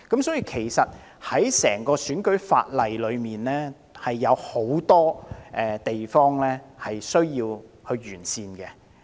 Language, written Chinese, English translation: Cantonese, 在整個選舉法例當中，其實有很多地方也需要完善。, In fact there are many areas that warrant improvement in the entire electoral legislation